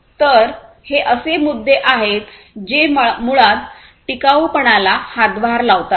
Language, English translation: Marathi, So, these are the issues that basically contribute to the overall sustainability